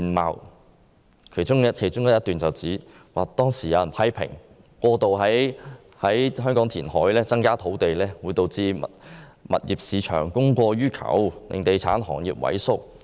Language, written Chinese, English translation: Cantonese, 文件的其中一段表示，當時有人批評，過度在香港填海增加土地會導致物業市場供過於求，令地產行業萎縮。, As stated in the document there were criticisms at that time that excessive increase in land by reclamation would lead to oversupply in the market leading to the shrinkage of the real estate industry